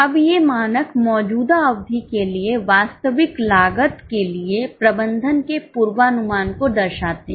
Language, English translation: Hindi, Now these standards reflect the management's anticipation of the actual cost for the current period